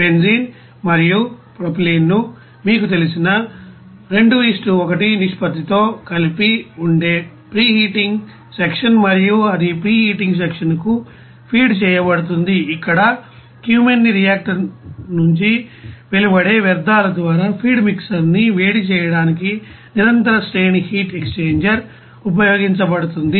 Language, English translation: Telugu, Preheating section where benzene and propylene are mixed with the you know 2 : 1 ratio and it these are fed to preheating section where a continuous series of heat exchanger is used to heat up the feed mixer by the effluents from the cumene reactor